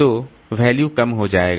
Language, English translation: Hindi, So that value will become low